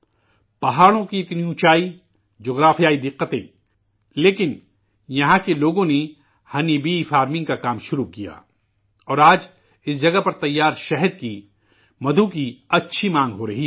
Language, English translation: Urdu, There are steep mountains, geographical problems, and yet, people here started the work of honey bee farming, and today, there is a sizeable demand for honey harvested at this place